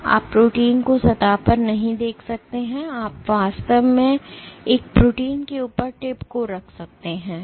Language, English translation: Hindi, So, you cannot see the proteins on the surface, that you can really position the tip on top of a protein